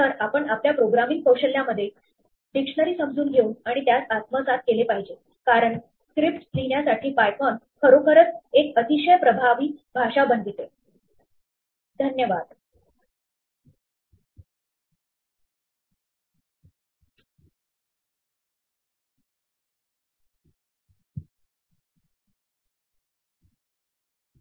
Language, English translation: Marathi, So, you should understand and assimilate dictionary in to your programming skills, because this is what makes python really a very powerful language for writing scripts to manipulate it